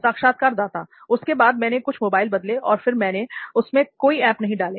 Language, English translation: Hindi, Then after that, like I have changed few mobiles that and then after that I did not install any apps